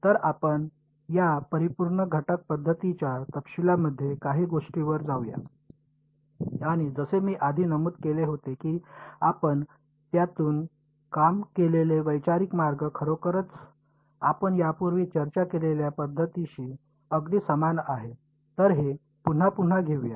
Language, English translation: Marathi, So, let us get into some of the details of this Finite Element Method and as I had mentioned much earlier, the conceptual way we worked through it is actually very similar to what we already discussed this so, what so called method of moments; so, let us just recap that